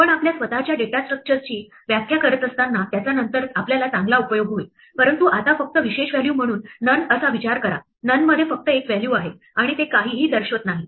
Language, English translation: Marathi, We will find great use for it later on when we are defining our own data structures, but right now just think of none as a special value, there is only one value in none and it denotes nothing